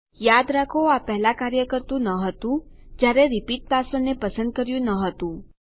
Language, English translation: Gujarati, Remember it didnt work before when we didnt chose a repeat password